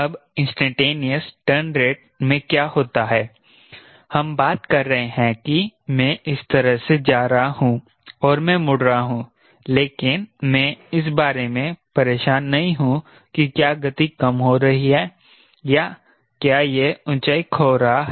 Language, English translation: Hindi, in instantaneous turn rate we are talking about, i am going like this, i am turning, but i am not bothered about whether the speed is reducing or whether it is losing the altitude